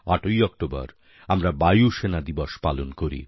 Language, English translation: Bengali, We celebrate Air Force Day on the 8th of October